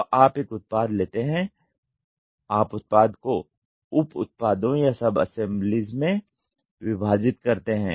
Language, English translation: Hindi, So, you take a product then you divide the product into sub products or sub assembly